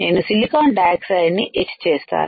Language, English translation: Telugu, I will etch the silicon dioxide